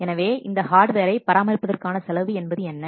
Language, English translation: Tamil, So what maintenance cost will be required for the hardware